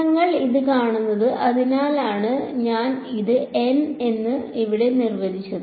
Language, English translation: Malayalam, So, you see this that is why I defined this n over here